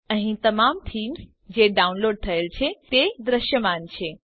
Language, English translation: Gujarati, Here all the themes which have been downloaded are visible